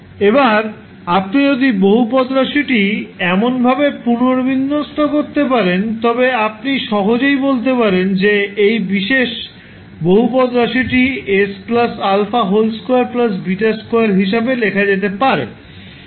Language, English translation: Bengali, So, if you can rearrange the polynomial in such a way, you can simply say that this particular polynomial can be represented as s plus alpha square plus beta square